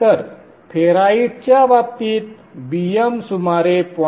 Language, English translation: Marathi, So in the case of ferrites, BM will be around 0